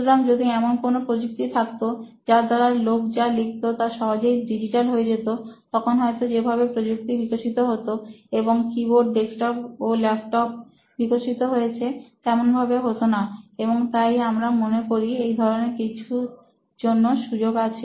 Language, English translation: Bengali, So if there was a technology which would have allowed people to you know write and whatever they have written got digitized easily then probably the way technology has evolved and keyboards have evolved into desktops and laptops would have been different is why we think an opportunity for something like this exists